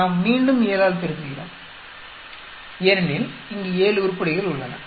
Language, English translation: Tamil, We again multiply by 7 because, there are 7 items here